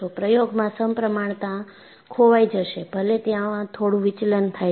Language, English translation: Gujarati, In an experiment, symmetry will be lost, even if there is some small deviation